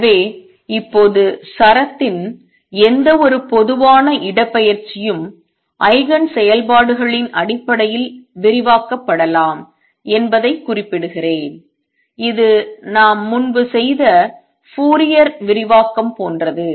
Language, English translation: Tamil, So, now, let me just state this any general displacement of the string can be expanded in terms of the Eigen functions this is like the Fourier expansion we did earlier